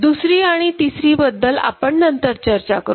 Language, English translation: Marathi, We’ll discuss about second and third little later